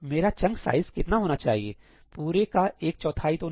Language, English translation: Hindi, And what should my chunk size be not one fourth of the total thing, right